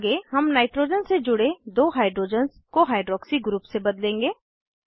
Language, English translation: Hindi, Next, we will substitute two hydrogens attached to nitrogen with hydroxy group